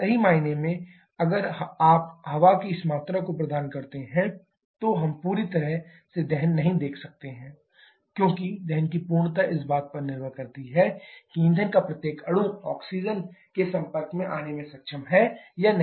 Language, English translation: Hindi, Truly speaking in practice if you provide exactly this amount of air we may not see the complete combustion because completeness of combustion depends upon each molecule of fuel is able to come in contact with oxygen or not